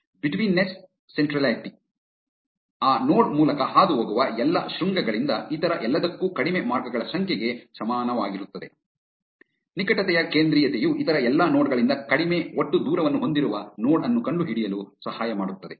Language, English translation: Kannada, Betweenness centrality is equal to the number of shorter paths from all vertices to all others that pass through that node, closeness centrality helps to find the node with the lowest total distance from all other nodes